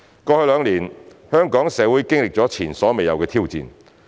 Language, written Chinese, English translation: Cantonese, 過去兩年，香港社會經歷了前所未有的挑戰。, Over the past two years the Hong Kong society has seen unprecedented challenges